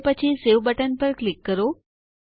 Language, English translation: Gujarati, And then click on the Save button